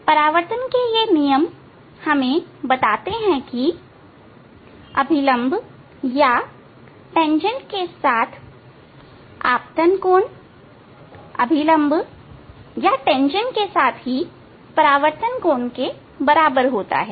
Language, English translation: Hindi, These laws of reflection tell that the angle of incidence with normal or tangent with normal or tangent